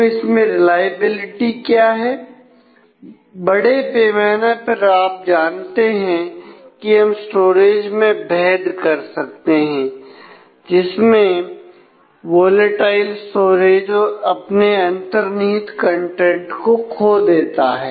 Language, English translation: Hindi, So, what is the reliability on that; and broadly as you all know we can differentiate storage into volatile storage which loses contents